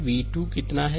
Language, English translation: Hindi, And v 2 is equal to how much